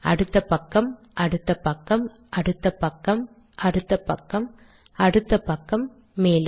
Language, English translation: Tamil, Next page, next page, next page